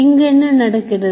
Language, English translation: Tamil, So this is what is happening